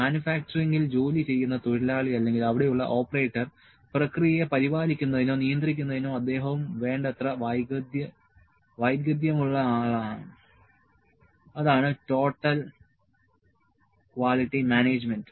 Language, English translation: Malayalam, The worker who is working in manufacturing or the operator who is there, he is also skilled enough to maintain or to control the process so that is total quality management